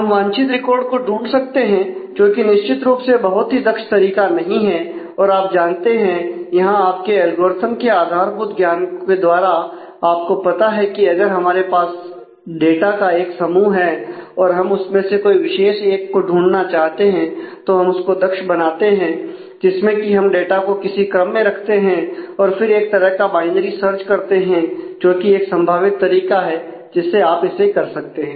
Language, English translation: Hindi, We can find the desired record which is certainly not a very efficient way of doing things and you know from your knowledge of basic algorithms that; if we have a set of data and we want to find a particular one then we can make it efficient by actually keeping the data in a sorted manner and doing some kind of a binary search that is one one possible mechanism through which you can do that